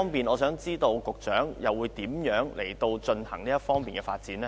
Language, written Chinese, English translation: Cantonese, 我想知道當局會如何推動這方面的發展？, May I ask the authorities how they will promote the development in this respect?